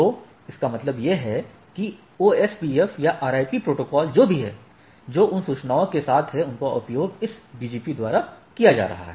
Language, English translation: Hindi, So that means, the what I what we mean to say that, OSPF or RIP protocols whatever, it is learned that those are with those information are being used by this BGP